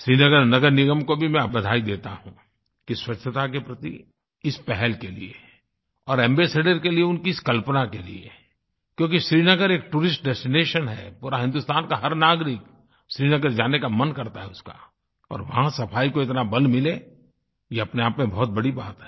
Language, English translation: Hindi, I congratulate Srinagar Municipal Corporation for taking this initiative towards sanitation and for their imagination to appoint an ambassador for this cause of cleanliness because Srinagar is a tourist destination and every Indian wants to go there; and if such attention is given to Cleanliness it is a very big achievement in itself